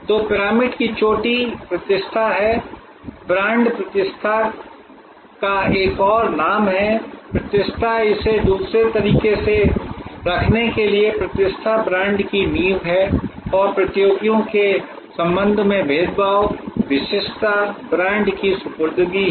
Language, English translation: Hindi, So, the top of the pyramid is reputation, brand is another name of reputation, reputation to put it another way, reputation is the foundation of brand and differentiation with respect to competitors, distinctiveness is the deliverable of the brand